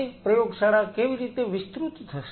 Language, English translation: Gujarati, How the lab will expand